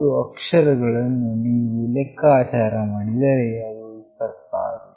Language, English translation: Kannada, The total characters if you count is 26